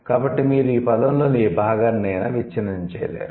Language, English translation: Telugu, So, you cannot break the word into any part